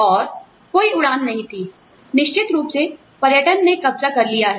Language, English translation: Hindi, And, you know, there were no flights, of course, tourism has taken over